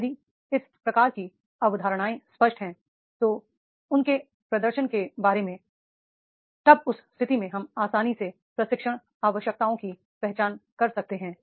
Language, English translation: Hindi, If this type of the concepts are clear then about their performance, then in that case we can easily identify the training needs